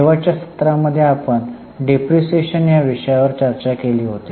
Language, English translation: Marathi, Then in the last session we had started discussion on depreciation